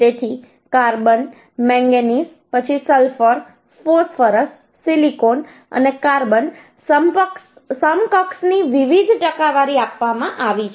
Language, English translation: Gujarati, So different percentage of carbon, manganese, uhh, then sulpher, phosphorus, silicon and carbon equivalent has been given it